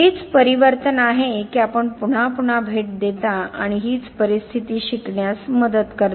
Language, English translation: Marathi, It is this transformation that you revisit and that is helps that is something that helps you learn the situation